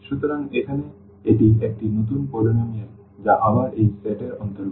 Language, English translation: Bengali, So, here this is a new polynomial which belongs to again this set this P n t